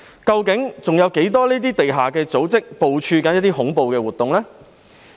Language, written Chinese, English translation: Cantonese, 究竟還有多少這類地下組織正在部署恐怖活動？, How many other underground societies of this kind are organizing terrorist activities?